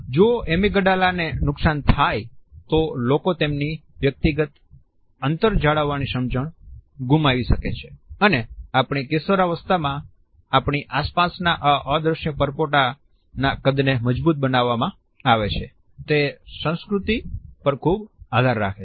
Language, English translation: Gujarati, If the Amygdala is damaged, people may lose their understanding of personal space and in our teenage years the size of the invisible bubbles that is surround us are solidified they are highly dependent on culture